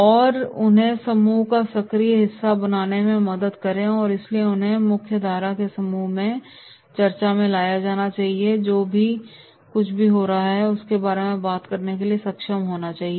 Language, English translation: Hindi, And help them become active part of the group and therefore they should be brought into the mainstream group in the discussion that is whatever is going on they should be able to talk about it